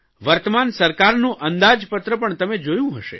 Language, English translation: Gujarati, You must have seen the Budget of the present government